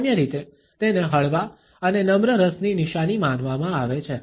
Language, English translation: Gujarati, Normally, it is considered to be a sign of mild and polite interest